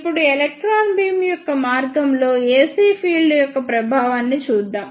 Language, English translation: Telugu, Now, let us see the effect of ac field on the path of electron beam